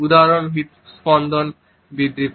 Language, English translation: Bengali, For example, increased rate of heart